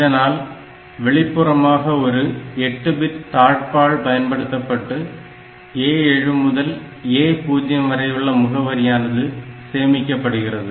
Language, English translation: Tamil, So, externally we use an 8 bit latch to store the values of A 7 to A 0 into this latch